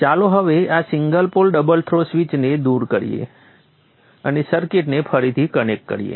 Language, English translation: Gujarati, So let us now remove this single pole double through switch and reconnect the circuit